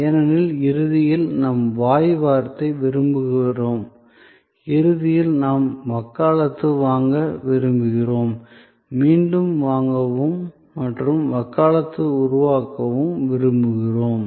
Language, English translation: Tamil, Because, ultimately we want the word of mouth, ultimately we want advocacy, we want repeat purchase and creating advocacy